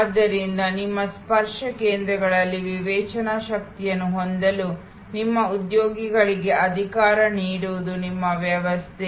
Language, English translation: Kannada, So, your system is to empower your employees to be able to have discretionary power at those touch points